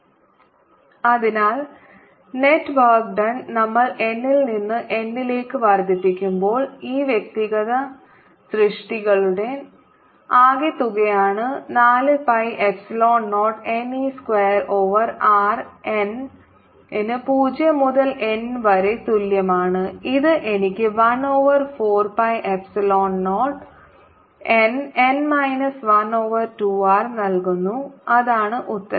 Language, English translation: Malayalam, so the net work done, total work done, when we increase n from zero to capital n, is going to be the sum of all these individual works: four pi, epsilon zero, n, e square over r, n equal to zero to capital n, which gives me one over four pi, epsilon zero, n, n minus one over two r, and that's the answer